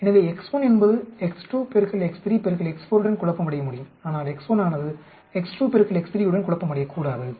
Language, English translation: Tamil, So x 1 can confound with x 2 into 3 into x 4, but x 1 should not confound with x 2, x 3